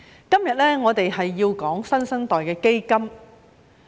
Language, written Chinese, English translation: Cantonese, 今天我們要討論"新生代基金"。, Today we are discussing the New Generation Fund